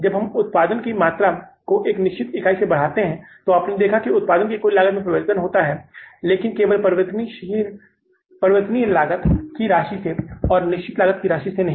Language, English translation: Hindi, When we increased the volume of production by one unit, then you have seen the total cost of production has changed but only by the cost or the amount of the variable cost, not the amount of the fixed cost